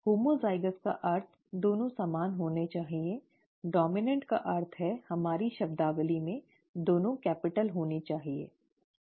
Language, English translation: Hindi, ‘Homozygous’ means both should be the same; ‘dominant’ means, in our terminology, both should be capital, right